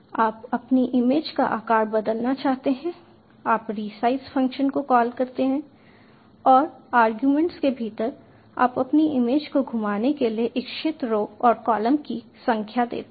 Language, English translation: Hindi, you want to resize your image, you call the resize function and within arguments you give the number of rows and columns you want to rotate your image, you call rotate and within arguments the degrees you want to rotate your image